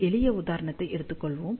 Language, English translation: Tamil, Let us just take a simple example